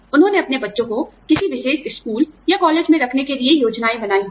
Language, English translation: Hindi, They may have made plans, to put their children, in a particular school or college